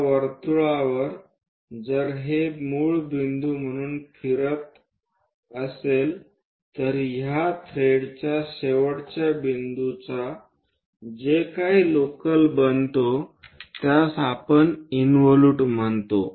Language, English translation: Marathi, On that the circle if it is rotating as a base point whatever the locus of this thread end point moves that is what we call an involute